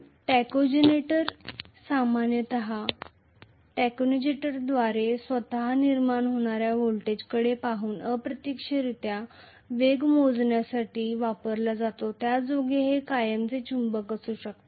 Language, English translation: Marathi, So, tachogenerator is used generally for measuring the speed indirectly by looking at the voltage generated by the tachogenerator itself in which case it may be a permanent magnet